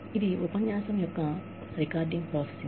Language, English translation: Telugu, It is recording processing of the lecture